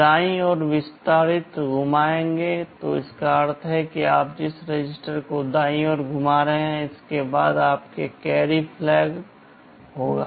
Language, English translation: Hindi, Rotate right extended means the register you are rotating right, then there will be your carry flag